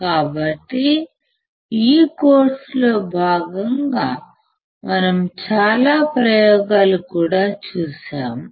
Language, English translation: Telugu, So, we will also see lot of experiments as a part of this course